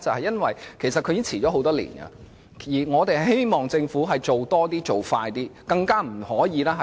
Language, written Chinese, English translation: Cantonese, 因為強制性標籤計劃已經停滯多年，我希望政府多做工夫，加快步伐。, Because MEELS has been at a standstill for years . I hope that the Government can step up its efforts and speed up the pace of MEELS